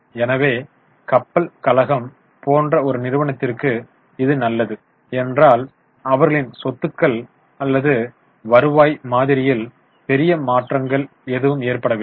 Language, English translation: Tamil, So, for a company like shipping corporation, it's good because there has not been major changes either in their assets or in their revenue model